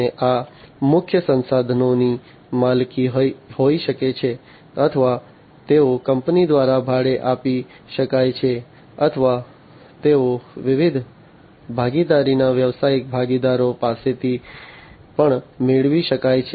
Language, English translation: Gujarati, And these key resources can be owned or they can be leased by the company or they can they can be even acquired from different partner’s business partners